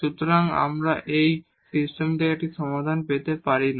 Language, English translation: Bengali, So, we cannot get a solution out of this system